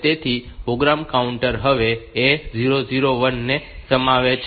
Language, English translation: Gujarati, So, the program counter now contains A 0 0 1